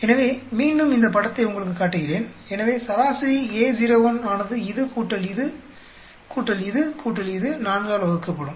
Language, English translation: Tamil, So, again I am showing you this picture; so average A naught will be this, plus this, plus this, plus this, divided by 4